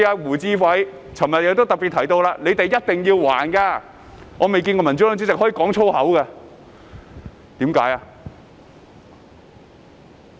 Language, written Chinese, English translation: Cantonese, 胡志偉議員昨日說"你們一定要還的"，我未見過民主黨主席可以粗言穢語的，為甚麼？, Yesterday Mr WU Chi - wai said you must pay back . I have never seen any chairman of the Democratic Party using abusive language so why did he do so?